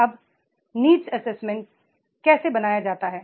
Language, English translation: Hindi, Now how to make the need assessments